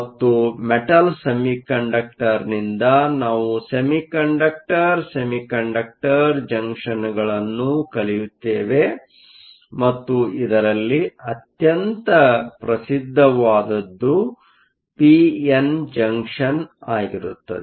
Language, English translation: Kannada, And from the Metal Semiconductor, we will go to your Semiconductor Semiconductor Junction and the most famous of this is your p n Junction